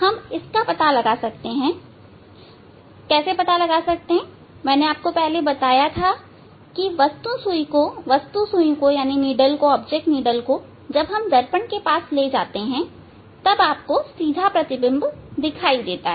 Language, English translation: Hindi, that we can find out as I told this take the needle object needle very close the mirror then you will see that is you will see the erect image